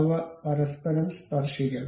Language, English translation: Malayalam, They should touch each other